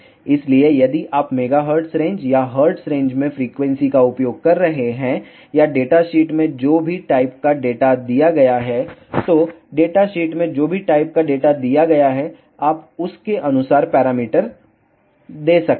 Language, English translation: Hindi, So, if you are using the frequency in megahertz range or Hertz range or whatever type of data is given in data sheet, so whatever type of data is given in data sheet, you can give the parameter accordingly